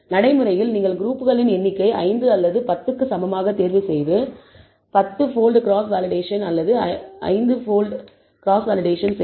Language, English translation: Tamil, In practice you can choose the number of groups equal to either 5 or 10 and do a 10 fold cross validation or 5 fold cross validation